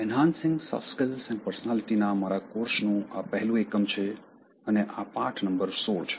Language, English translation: Gujarati, This is the first unit for my course on Enhancing Soft Skills and Personality and this is in total lesson number 16